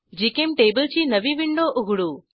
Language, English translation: Marathi, Lets open a new GChemTable window